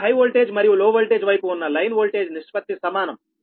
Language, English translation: Telugu, so ratio of the line voltage on high voltage and low voltage side are the same, right